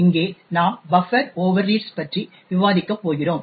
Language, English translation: Tamil, Here we are going to discuss about buffer overreads